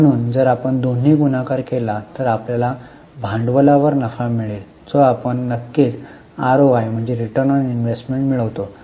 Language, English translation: Marathi, So if you multiply both, you will get profit upon capital employed, which is precisely what is ROI